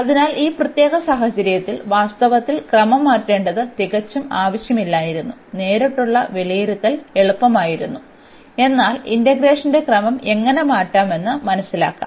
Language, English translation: Malayalam, So, in this particular case it was absolutely not necessary to change the order in fact, the direct evaluation would have been easier; but, here the inverse to learn how to change the order of integration